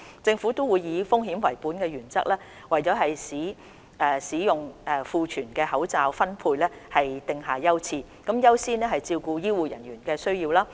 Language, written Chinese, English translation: Cantonese, 政府會以風險為本原則，為使用庫存的口罩分配訂定優次，優先照顧醫護人員的需要。, The Government will prioritize the distribution of masks in the Governments stockpile following a risk - based approach with priority accorded to health care workers to meet their needs